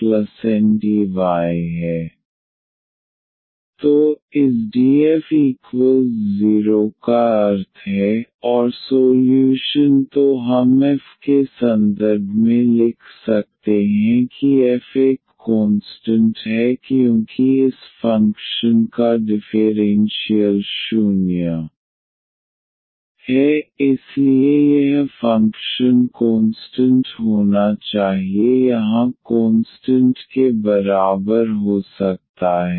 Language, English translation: Hindi, So, meaning this df is equal to 0, and the solution then we can write down in terms of f that f is a constant because the differential of this function is 0